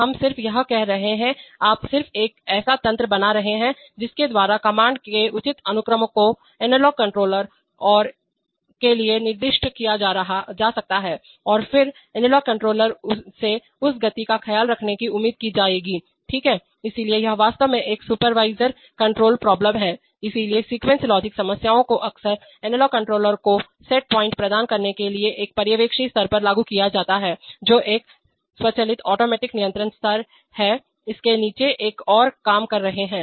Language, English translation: Hindi, We are just saying, you just making a mechanism by which the proper sequence of commands can be specified to the analog controllers and the, and then analog controller will be expected to take care of that motion, right, so in this sense it is actually a supervisory control problem, so sequencer logic problems are often applied at a supervisory level to provide set points to the analog controllers which are working below it, at an, at an automatic control level right